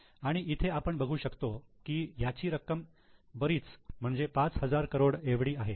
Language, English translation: Marathi, You can see here the amount is substantial 5,000 crores